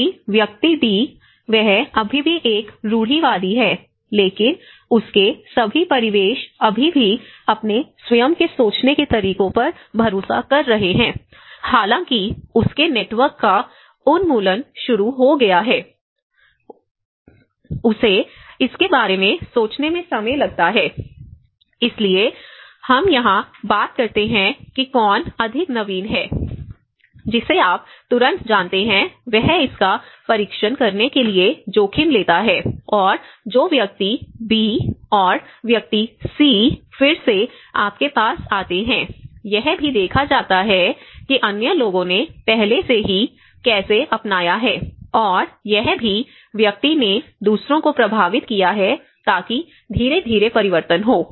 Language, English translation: Hindi, And then, whereas in the person D, he is still in a conservative but his; all his surroundings still relying on his own ways of thinking though his network have started erupting, he takes time to think about it, so that is where we talk about who is more innovative, the one who immediately you know takes that risk to test it and the person B and person C again they comes in you know here again, in this case, it is also looked at how other people have already adopted and either this person have influenced others, so that gradually changes